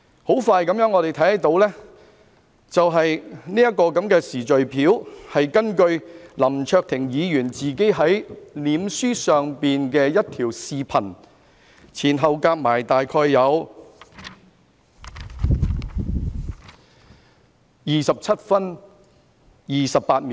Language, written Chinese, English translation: Cantonese, 我們看到的這個時序表，是根據林卓廷議員在面書上的一段視頻，前後長度大約為27分28秒。, This chronology we see is based on a video clip on Mr LAM Cheuk - tings Facebook page with a total length of about 27 minutes and 28 seconds